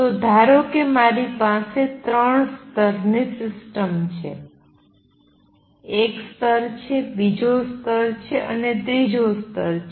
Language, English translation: Gujarati, So, suppose I have a three level system one level, second level and third level